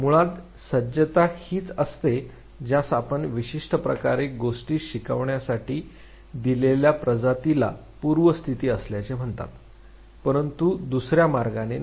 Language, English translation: Marathi, Preparedness basically is what you call predisposition of a given species to learn things in certain ways and not in the other way